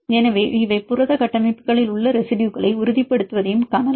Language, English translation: Tamil, So, they can see that these are also probably stabilizing residues in protein structures